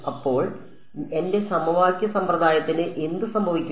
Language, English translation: Malayalam, So, what happens to my system of equations now